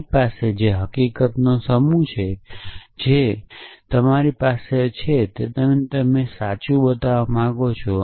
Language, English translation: Gujarati, What you have is the set of facts, what you do not have is something you want to show to be true